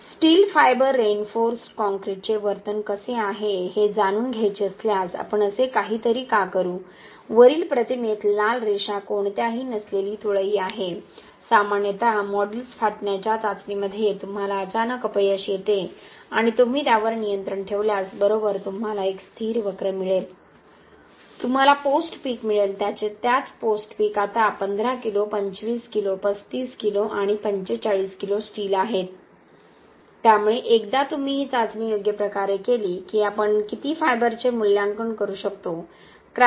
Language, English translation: Marathi, Why would we do something like that if we want to find out how the behaviour of steel fiber reinforced concrete is, this is beam without any fibers, normally in a modulus of rupture test you get sudden failure and if you control it right, you get a stable curve, you get a post peak as this, the same post peak now with 15 kg of fibres becomes this, 25 kg, 35 kg and 45 kg of steel fibres, so once you can do this test properly we can assess how much of fiber should we get to get a certain stress after cracking, which we can use in design of pavements and other structures